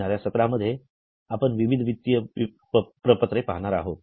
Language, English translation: Marathi, In detail we are going to look at various financial statements in the coming sessions